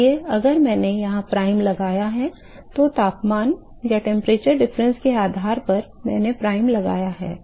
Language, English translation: Hindi, So, hf I have put up prime here, reason I have put a prime is depending upon the temperature difference